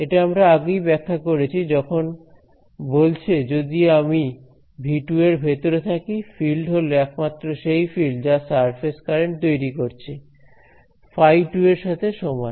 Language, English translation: Bengali, So, this one is we have already interpreted in this case what is it saying that if I am inside V 2, the field is simply the field that is produced by these surface currents right, phi 2 is equal to this